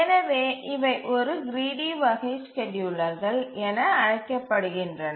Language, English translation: Tamil, That is why these are called as a gritty class of schedulers